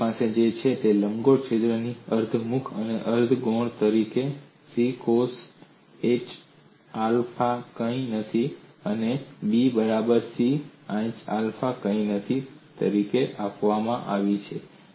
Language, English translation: Gujarati, So what you have is semi major and semi minor axes of the elliptical hole, are given as a equal to c cosh alpha naught and be equal to c sin h alpha naught